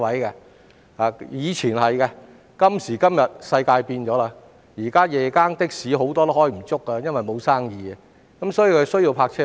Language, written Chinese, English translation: Cantonese, 以前的確如此，但今時今日世界變了，現時夜更的士很多都工作不足，沒有生意，所以需要泊車位。, This might be the case in the past but the world has changed these days . Given a drop of patronage or business nowadays many night - shift taxis need parking spaces